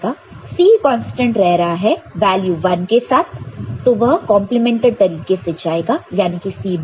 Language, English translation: Hindi, So, sorry C is remaining constant with 1 so, C will go complemented C bar ok